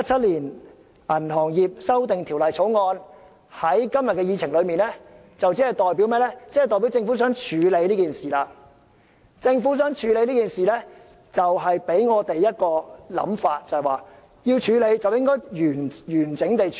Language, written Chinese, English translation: Cantonese, 當政府把《條例草案》提上今天的議程，便代表政府希望處理這事項，這便引發我們一種想法，就是要處理的話，便要完整地處理。, The Governments placing of the Bill on the Agenda today shows that it wishes to deal with this matter . This has triggered a thought among us the thought that if it has to be dealt with the process must not be interrupted